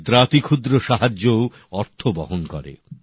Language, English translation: Bengali, Even the smallest help matters